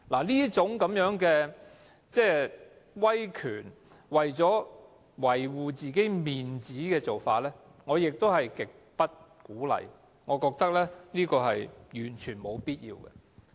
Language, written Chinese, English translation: Cantonese, 這種威權、為了維護面子的做法，我是極不鼓勵的，我也覺得這是完全沒有必要的。, I certainly do not encourage such authoritarianism and unwarranted pride . I do not think there is any need for such behaviour